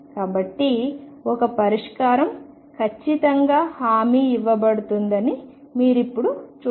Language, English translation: Telugu, So, you see now one solution is definitely guaranteed